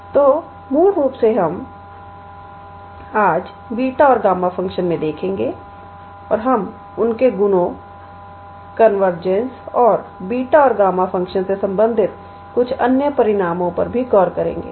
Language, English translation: Hindi, So, we will basically look into beta and gamma function today and we will look into their properties, the convergence and some other results related to beta and gamma function